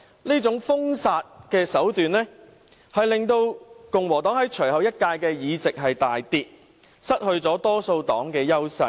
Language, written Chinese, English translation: Cantonese, 這種封殺手段令共和黨在隨後一屆的議席數目大跌，失去了多數黨的優勢。, As a result of this banning tactic the number of Republican seats in the next Congress dropped drastically and the party lost its advantage as the majority party